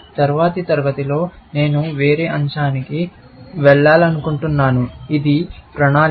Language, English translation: Telugu, In the next class, I want to move to a different topic, which is that of planning